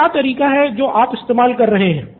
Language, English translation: Hindi, So what is the way that is happening right now